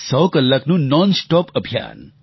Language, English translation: Gujarati, A hundredhour nonstop campaign